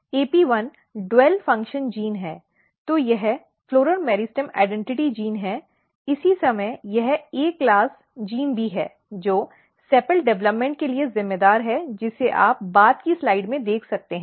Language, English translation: Hindi, AP1 is dual function gene, so it is floral meristem identity gene at the same time it is also A class gene which is responsible for sepal development which you can see in the later slide